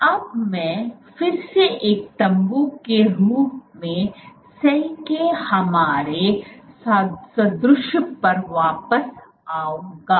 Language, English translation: Hindi, Now, I will again come back to our analogy of cell as a tent